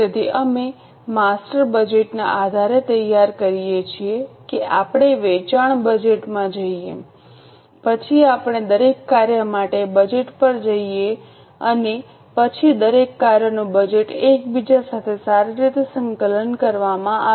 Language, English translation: Gujarati, So, we prepare based on the master budget, we go to sales budget, then we go to budget for each function and then each function's budget is well coordinated with each other